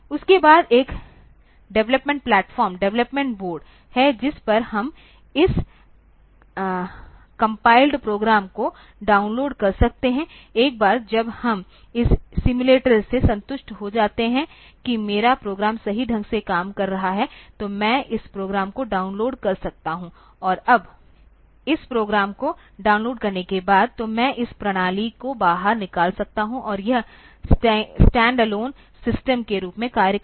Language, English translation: Hindi, After that, so normally the situation is like this, that there is a development platform, development board onto which we can download this compiled program, once we are satisfied with the simulation that my program is working correctly, so I can download this program and now on this, once the program has been downloaded, then I can take this system out and this can act as the stand alone system where